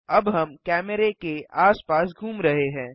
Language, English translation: Hindi, Now we are rotating around camera